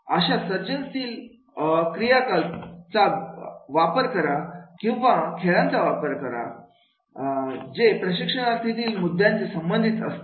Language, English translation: Marathi, Use creative activities are games that relate to the training contents